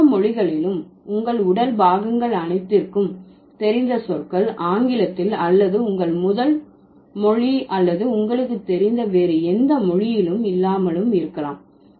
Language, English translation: Tamil, So, maybe not all languages have words for all of your body parts that you know in English or in your first language or any other language that you know